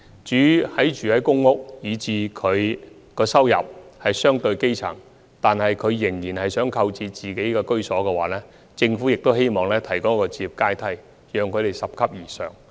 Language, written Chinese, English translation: Cantonese, 至於居住在公屋、收入屬於基層水平，但仍想購置居所的市民，政府亦希望能為他們提供置業階梯，讓他們拾級而上。, As for those living in the PRH with grass - roots income levels who want to acquire their own homes the Government also wish to provide them with a housing ladder so that they can climb up the ladder to acquire their homes